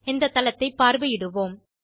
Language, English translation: Tamil, Let us visit this site now